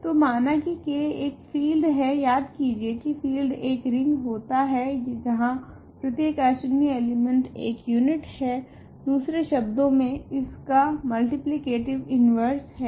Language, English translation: Hindi, So, let K be a field remember a field is a ring where every non zero element is a unit; in other words, it has a multiplicative inverse